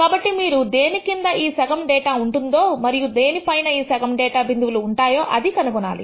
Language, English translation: Telugu, So, you like to find out that value below which half the data points lie and above which half the data points lie